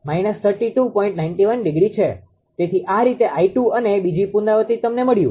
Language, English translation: Gujarati, So, these way small i 2 and second iteration you got